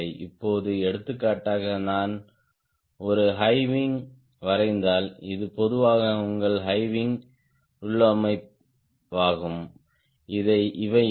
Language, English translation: Tamil, for example, if i draw a high wing, this is typically your high wing configuration